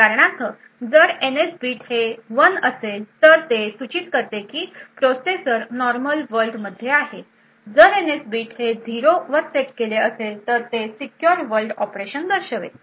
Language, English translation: Marathi, So, for instance if the NS bit is equal to 1 it indicates that the processor is in the normal world, if the NS bit is set to 0 that would indicate a secure world operation